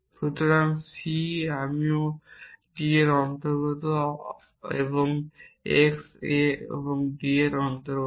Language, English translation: Bengali, So, this C I also belong to D and x A is also belongs to D